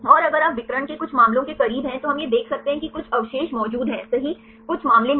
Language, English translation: Hindi, And if you close to the diagonal some cases we can see this some residues are present right some cases no